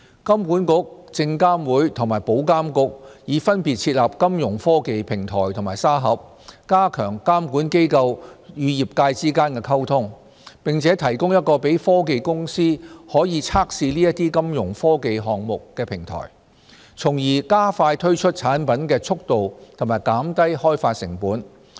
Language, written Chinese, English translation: Cantonese, 金管局、證券及期貨事務監察委員會和保險業監管局已分別設立金融科技平台和沙盒，加強監管機構與業界之間的溝通，並提供一個讓科技公司可以測試這些金融科技項目的平台，從而加快推出產品的速度及減低開發成本。, HKMA the Securities and Futures Commission SFC and the Insurance Authority IA have each launched their own Fintech platform and sandbox to enhance communication between regulators and the Fintech community and provide tech firms with a platform to conduct pilot trials of their Fintech initiatives thereby expediting the launch of new technology products and reducing the development cost